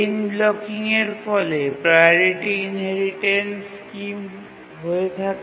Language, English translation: Bengali, So, chain blocking is a severe problem in the simple priority inheritance scheme